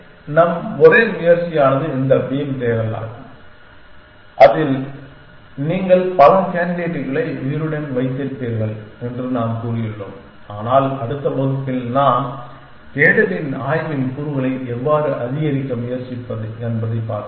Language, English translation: Tamil, So, for our only attempted exploration has been this beam search in which we have said you will keeps many candidates alive, but in the next class then we meet we will see how to try to increase component of exploration in search